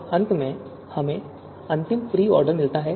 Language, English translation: Hindi, And finally, we get the final pre order